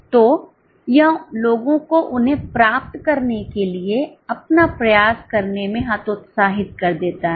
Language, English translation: Hindi, So, it demotivates the people to put their effort to achieve them